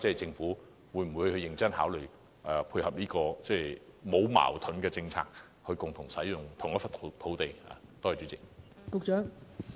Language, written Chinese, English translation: Cantonese, 政府會否認真考慮這個沒有矛盾的政策，令不同活動可以共同使用同一個場地呢？, Will the Government seriously consider such a compatible policy to allow share use of the same venue by different activities?